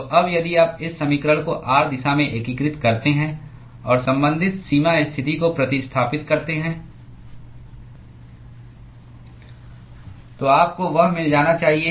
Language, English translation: Hindi, So now, if you integrate this equation in the r direction, and substitute the corresponding boundary condition, you should get that